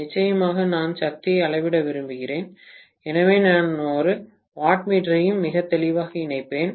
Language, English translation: Tamil, And of course, I would like to measure the power, so I would also connect a wattmeter very clearly, okay